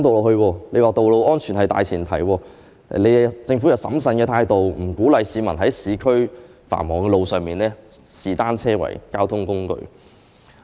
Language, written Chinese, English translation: Cantonese, 你還說在道路安全的大前提下，政府採取審慎的態度，不鼓勵市民在市區繁忙的道路上以單車作為交通工具。, That aside you stated that on the premise of ensuring road safety the Government had adopted a prudent approach and would not encourage the public to use bicycles as a mode of commuting on busy roads in the urban areas